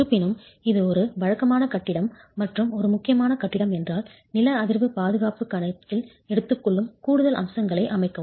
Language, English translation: Tamil, However, if it is a regular building versus an important building, do put in place additional features that takes into account seismic safety